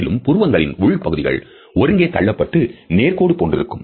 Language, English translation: Tamil, Also, the inner parts of the eyebrow will push together, forming those vertical lines again